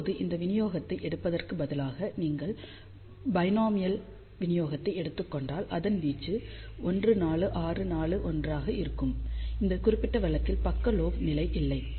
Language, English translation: Tamil, Now, if instead of taking this distribution, if you take binomial distribution, which will be amplitude 1 4 6 4 1, in this particular case there is no side lobe level